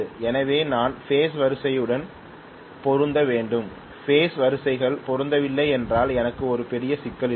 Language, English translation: Tamil, So I have to match the phase sequence as well if the phase sequences are not matched I am going to have a big problem